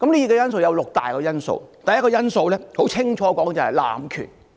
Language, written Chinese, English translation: Cantonese, 當中有六大元素：第一個元素清楚指明是濫權。, I found that there are six major elements . The first is clearly specified as abuse of power